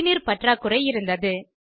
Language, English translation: Tamil, Drinking water was scarcely available